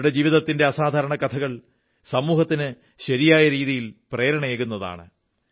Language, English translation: Malayalam, The extraordinary stories of their lives, will inspire the society in the true spirit